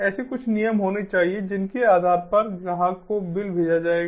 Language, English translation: Hindi, there has to be some rules based on which the customer is going to be billed